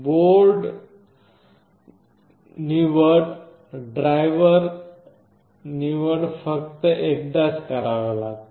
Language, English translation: Marathi, The board selection and the driver selection have to be done only once